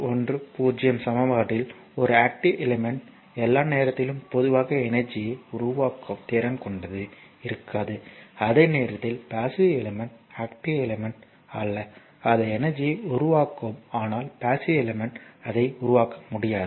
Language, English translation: Tamil, It does not hold for all time in general an active element is capable of generating energy, while passive element is not active element it will generate energy, but passive element it cannot generate